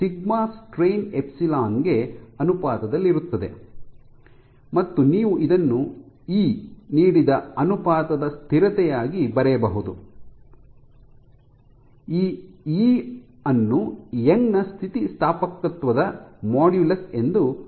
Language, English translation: Kannada, So, sigma is proportional to the strain epsilon, and you can write it as a proportionality constant which is given by E, this E is called a Young’s modulus of elasticity